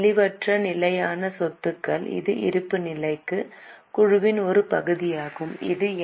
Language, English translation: Tamil, Intangible fixed assets, it's a part of balance sheet, it is NCA